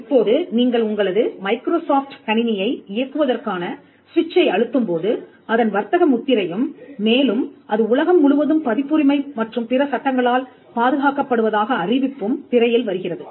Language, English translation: Tamil, Now, when you switch over on your Microsoft PC, you will find the Microsoft trademark and the notice is coming that it is protected by copyright and other laws all over the world